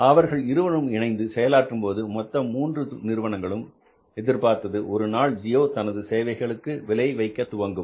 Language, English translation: Tamil, They had to join hands, but they were both these three companies were sure about that one day, geo will have to start pricing their services